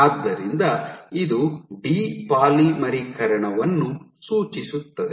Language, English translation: Kannada, So, this signifies the depolymerization